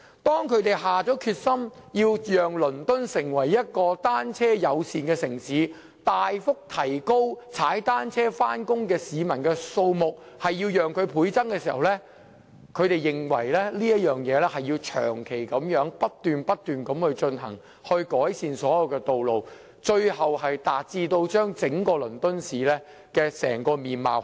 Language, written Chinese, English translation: Cantonese, 當他們下定決心，要讓倫敦成為一個單車友善的城市，要將踏單車上班的市民的數目大幅提高，且要倍增時，他們認定這項工程必須要長期不斷進行，以期改善所有道路，最終要改變整個倫敦市的面貌。, When they determined to develop London into a bicycle - friendly city and increase the number of people cycling to work significantly by a double they were certain that the works project must be implemented in an ongoing manner long term to improve all the roads and eventually change the outlook of the City of London as a whole